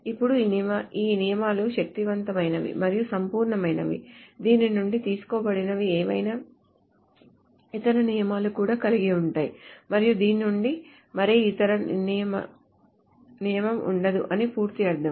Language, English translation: Telugu, Now these rules are sound and complete in the sense that any other rule that can be derived from it will also hold and complete meaning no other rule can be outside this